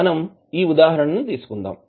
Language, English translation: Telugu, We will take this example